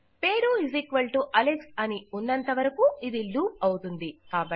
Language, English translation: Telugu, As long as the name=Alex this will loop